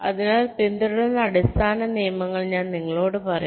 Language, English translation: Malayalam, so i shall be telling you the basic rules that were followed